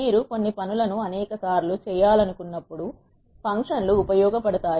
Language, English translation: Telugu, Functions are useful when you want to perform certain tasks many number of times